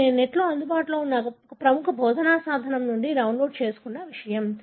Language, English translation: Telugu, This is something that I have downloaded from a popular teaching tool that is available on the net